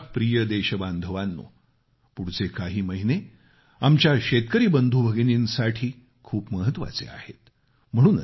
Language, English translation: Marathi, My dear countrymen, the coming months are very crucial for our farming brothers and sisters